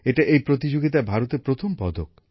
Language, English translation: Bengali, This is India's first medal in this competition